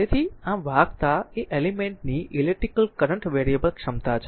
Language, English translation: Gujarati, So, thus conductance is the ability of an element to conduct electric current